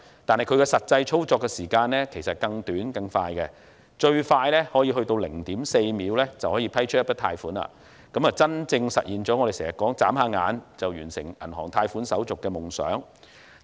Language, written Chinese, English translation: Cantonese, 但是，它的實際操作時間其實更短更快，最快可以在 0.4 秒批出一筆貸款，真正實現了我們經常說的，"眨下眼"就完成銀行貸款手續的夢想。, Its actual operation is even shorter and quicker the loan approval can be done in as quickly as 0.4 second . This literally materializes the oft - quoted fantasy of completing bank loan procedures in the blink of an eye